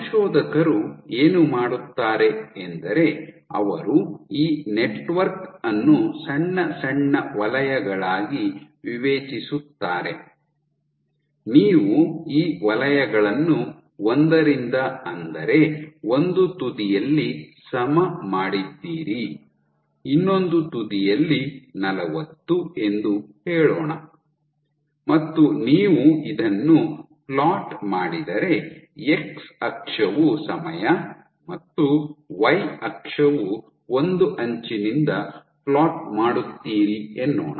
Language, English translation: Kannada, So, you would discretize this network into small small zones, you have these zones levelled from 1 at one end to whatever let us say 40 at the other end and you would plot, your x axis is time and y axis is whatever you are plotting but along the edge